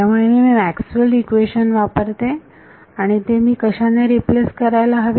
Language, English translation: Marathi, So, I use Maxwell’s equation and what should I replace this by